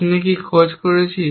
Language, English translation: Bengali, What are we looking for